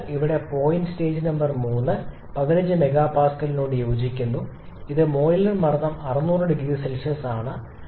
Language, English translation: Malayalam, So, here the point stage number 3 corresponds to 15 mega Pascal which is the boiler pressure and 600 degree Celsius